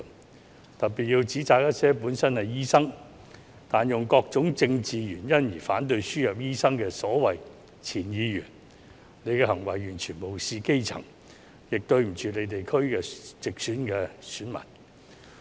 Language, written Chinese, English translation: Cantonese, 我特別要指責一些本身是醫生，但以各種政治原因而反對輸入醫生的所謂前議員，他們的行為完全無視基層，亦對不起其地區直選的選民。, I want to reproach in particular some so - called former Members who are doctors and opposed the importation of doctors for various political reasons . They have completely ignored the grass roots and failed to meet the expectations of the electors of their geographical constituencies